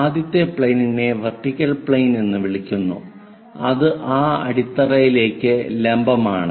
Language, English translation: Malayalam, This planes are called vertical plane, vertical to that base, other one is horizontal plane